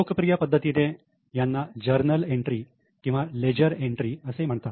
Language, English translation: Marathi, So, this is popularly known as journal entries or leisure entries